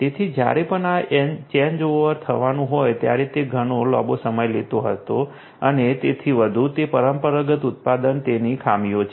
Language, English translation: Gujarati, So, whenever this changeover will have to happen it is to take much longer and so on, that is the traditional manufacturing the drawbacks of it